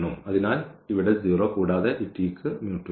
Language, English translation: Malayalam, So, here 0 and also this t does not have mu 2